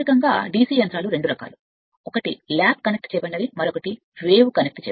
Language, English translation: Telugu, Basically DC machines are of two type; one is lap connected, another is om